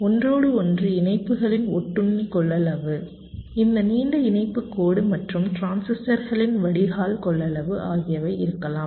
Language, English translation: Tamil, there can be the parasitic capacitance of the interconnects, this long interconnection line, and also the drain capacitance of the local transistors